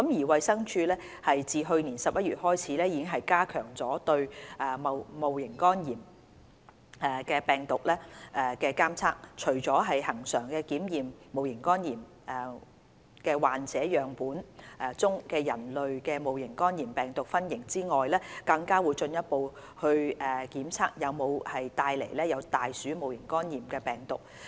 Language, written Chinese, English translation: Cantonese, 衞生署自去年11月開始已加強對戊型肝炎病毒的監測，除了恆常檢測戊型肝炎患者樣本中的人類戊型肝炎病毒分型外，更會進一步檢測有否帶有大鼠戊型肝炎病毒。, Since November 2018 the DH has enhanced the surveillance of HEV by conducting further testing on rat HEV in the samples collected from HEV patients in addition to regular testing on human HEV types